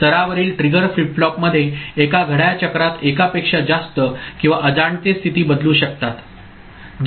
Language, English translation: Marathi, In a level triggered flip flop there can be more than one or unintended state change in one clock cycle